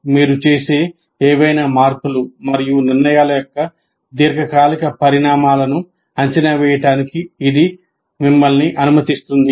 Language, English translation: Telugu, This enables you to evaluate the long term consequences of any changes and decisions that you make